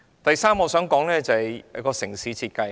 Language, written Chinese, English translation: Cantonese, 第三點是城市設計。, The third point is about city design